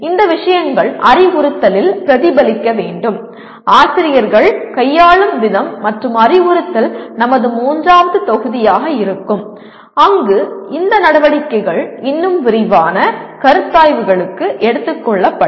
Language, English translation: Tamil, These things will have to get reflected in the instruction, the way the teachers handle and instruction will be our third module where these activities will be taken up for more detailed considerations